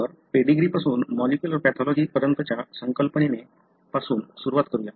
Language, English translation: Marathi, So, let's start with the concept that is from pedigree to molecular pathology